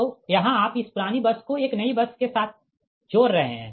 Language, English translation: Hindi, now this bus is a new bus, so and you are from an old bus to a new bus